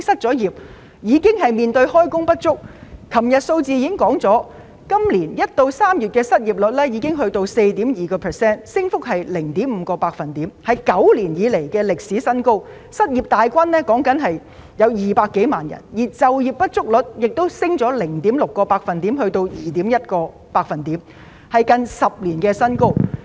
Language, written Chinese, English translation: Cantonese, 昨天政府公布的數字顯示，今年1月至3月的失業率已上升至 4.2%， 升幅為 0.5 個百分點，屬9年來新高，失業人數增加了2萬多，就業不足率亦上升了 0.6 個百分點，達 2.1%， 屬10年新高。, As reflected by the figures released by the Government yesterday the unemployment rate has risen to 4.2 % between January and March this year an increase of 0.5 percentage point which is a record high in nine years . The number of unemployed persons has increased by more than 20 000 and the underemployment rate has also surged by 0.6 percentage point to 2.1 % which is a record high in 10 years